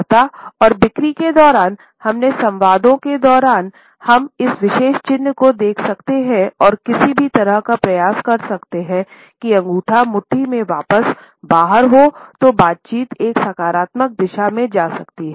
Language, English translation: Hindi, During negotiations and sales, during our dialogues, we have to watch for this particular sign and try to somehow, while away the time until the thumb moves back out of the fist so that the dialogue can move in a positive direction